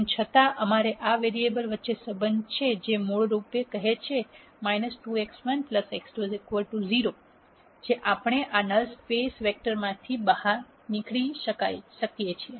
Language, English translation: Gujarati, Nonetheless we have a relationship between these variables which is basically saying minus 2 x 1 plus x 2 equal to 0 is a relationship that we can get out of this null space vector